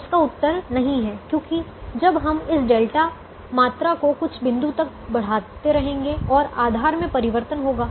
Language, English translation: Hindi, the answer is no, because as we keep on increasing this delta quantity, at some point what will happen is the, the bases will change